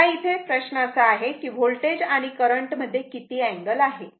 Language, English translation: Marathi, Now, question is there what is the angle between the voltage and current